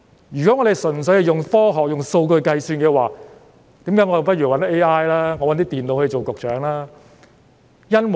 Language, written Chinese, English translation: Cantonese, 如果我們純粹依賴科學及用數據計算的話，那我們不如找 AI、電腦擔任局長好了。, If we purely rely on science and statistical calculations we may as well have AI programmes or computers to be the Secretaries